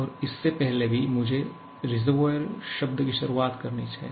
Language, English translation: Hindi, And even before that I have to introduce the term reservoir